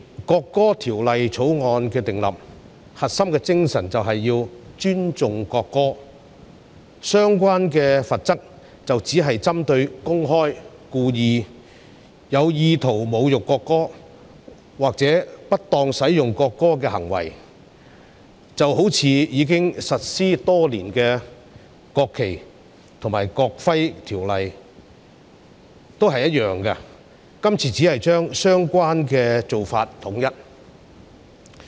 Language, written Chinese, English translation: Cantonese, 訂立《條例草案》的核心精神，就是要尊重國歌，相關罰則只是針對公開、故意、有意圖侮辱國歌或不當使用國歌的行為，與實施多年的《國旗及國徽條例》相若，今次只是將相關的做法統一。, The core spirit of the formulation of the Bill is to respect the national anthem . The relevant penalties are only directed at acts of publicly deliberately and intentionally insulting the national anthem or misuse of the national anthem . Similar to the National Flag and National Emblem Ordinance NFNEO which has been implemented for years the Bill simply seeks to align relevant approaches